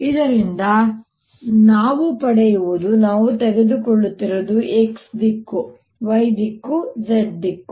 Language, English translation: Kannada, this is what i am taking is x direction, y direction, z direction